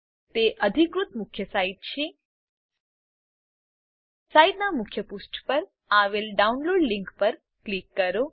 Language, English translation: Gujarati, It is official main site Click on the Download link on the main page of the site